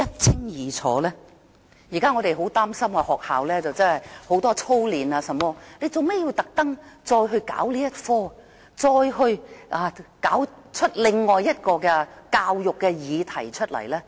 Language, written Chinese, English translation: Cantonese, 我們現在很擔心的一個課題，便是學校為學生進行過多操練，當局為何要再"搞"這個科目，"搞"出另一個教育議題？, Given that one of our major concerns at present is that students are subject to intensive drilling by schools why do the authorities stir up another education controversy again by re - introducing this subject?